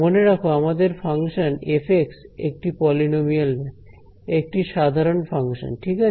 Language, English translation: Bengali, So, remember our function is f of x which is not polynomial; it is some general function ok